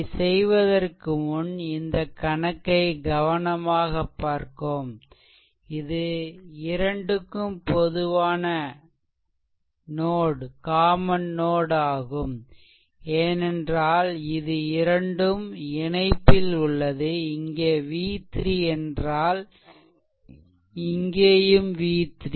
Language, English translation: Tamil, Before you solve the problem look at the problem carefully before doing anything this is actually a common node because its a its basically these 2 are connected together if it is v 3 this is also v 3 right